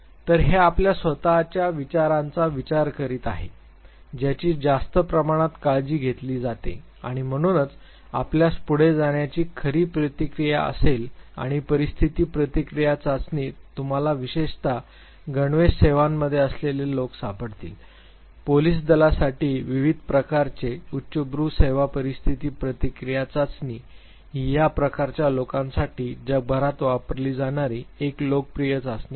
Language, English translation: Marathi, So, this re thinking your own thoughts that is taken care of to a much greater extent and therefore, you true responses likely to come forward and in situation reaction test especially you will find people in the uniform services arm forces police forces different type of elite services situation reaction test is one of the popular test used worldwide for these type of people